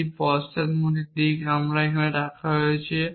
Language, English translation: Bengali, In a backward direction I have to put and here